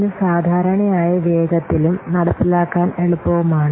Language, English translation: Malayalam, It is usually faster and easier to implement